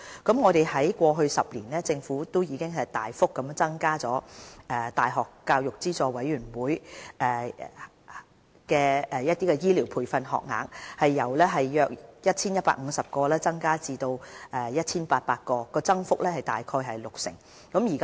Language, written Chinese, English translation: Cantonese, 在過去10年，政府已大幅增加大學教育資助委員會資助的醫療培訓學額，由約 1,150 個增至約 1,800 個，增幅約為六成。, The Government has substantially increased the number of University Grants Committee UGC - funded health care training places by about 60 % from about 1 150 to about 1 800 over the past 10 years